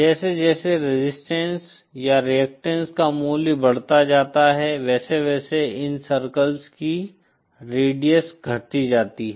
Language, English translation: Hindi, As the resistance or reactants value goes on increasing, the radius of these circles keep on decreasing